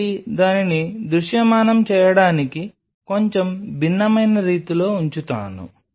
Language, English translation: Telugu, So, just to visualize it let me just put it A slightly different way